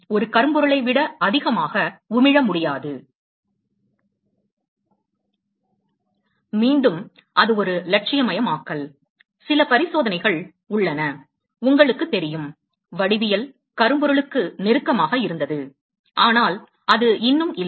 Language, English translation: Tamil, So, no … can emit more than a blackbody, again it is an idealization, there are some experimental, you know, geometries, that have been close to black body, but it is not there yet